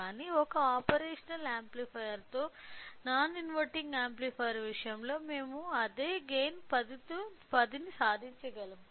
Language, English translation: Telugu, So, but in case of an non inverting amplifier with a single operational amplifier we could achieve the same gain as 10 right